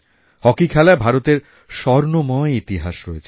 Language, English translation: Bengali, India has a golden history in Hockey